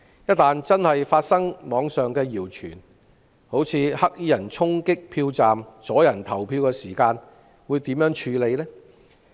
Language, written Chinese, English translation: Cantonese, 一旦網上的謠傳成真，例如有黑衣人衝擊票站，阻人投票，當局會如何處理？, black - clad people charge polling stations and obstruct people from voting what will the Government do?